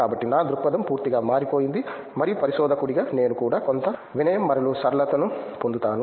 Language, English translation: Telugu, So, my view and perspective is completely changed and also I would add like as a researcher we also get some humility and simplicity